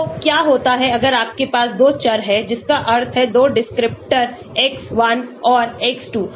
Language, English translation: Hindi, So what happens if you have 2 variables that means 2 descriptors x1 and x2